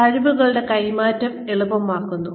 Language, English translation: Malayalam, Making skills transfer easy